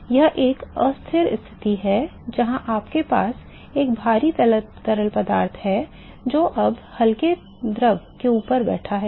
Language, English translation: Hindi, So, that is an unstable situation where you have a heavy fluid which is now sitting on top of the light fluid